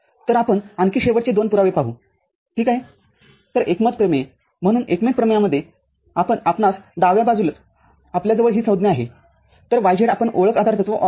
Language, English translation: Marathi, So the consensus theorem – so,, in the consensus theorem we have left hand side we have this term so, y z, we use the identity postulate